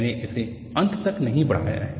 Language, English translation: Hindi, Ihave not extended it till the end